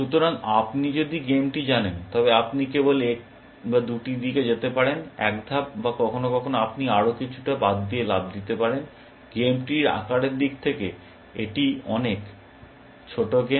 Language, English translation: Bengali, So, if you know the game, you can only move in one or two directions, one step or sometimes you can jump over other than so on, is a much smaller game in terms of the size of the game tree